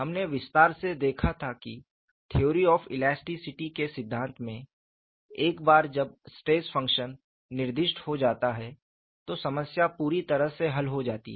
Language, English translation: Hindi, We have seen elaborately, certain theory of elasticity; once the stress function is specified, the problem is completely solved